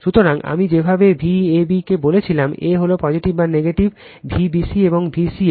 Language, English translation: Bengali, So, the way I told V a b, a is positive or negative, V b c and V c a right